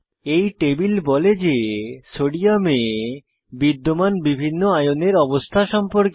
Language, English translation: Bengali, This table gives information about * different Ionic states Sodium exists in